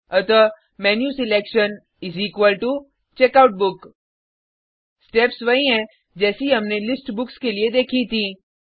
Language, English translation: Hindi, So menuselection is equal to checkoutbook The steps are the same that we saw for List Books